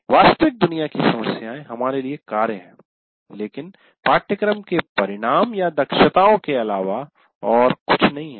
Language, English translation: Hindi, Now we are saying that real world problems are tasks for us are nothing but course outcomes or competencies